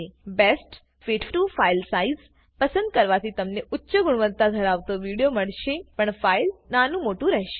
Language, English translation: Gujarati, Choosing Best fit to file size will give a lower quality video but with a smaller file size